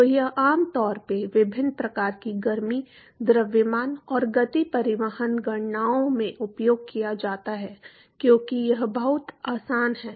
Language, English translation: Hindi, So, this is very very commonly used in different types of heat, mass and momentum transport calculations because it is very handy